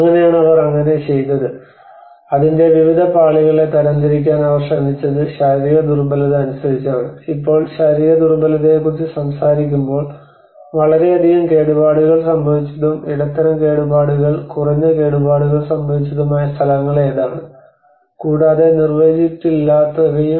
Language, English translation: Malayalam, So that is how what they did was they tried to classify different layers of it and like physical vulnerability now when you talk about the physical vulnerability what are the places which has been in highly damaged, medium damaged, and the low damaged and which has been not defined